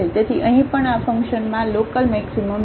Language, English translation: Gujarati, So, here also there is a local maximum of this function